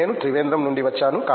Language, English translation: Telugu, I come from Trivandrum